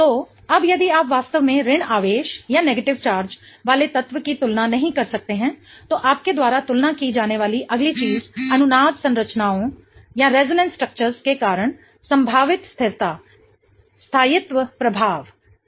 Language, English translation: Hindi, So, now if you really cannot compare the element that bears the negative charge, the next thing you compare is the possible stability effect due to resonance structures